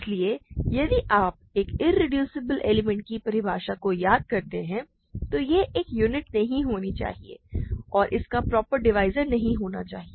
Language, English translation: Hindi, So, if you recall the definition of an irreducible element, it should not be a unit and it should not have proper divisors